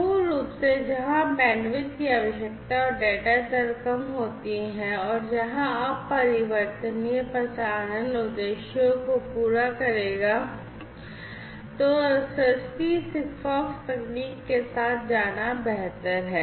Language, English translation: Hindi, So, basically where your requirements are less, where the bandwidth requirement and data rate are less, where infrequent transmissions will suffice your purpose, then it might be better to go with cheaper SIGFOX technology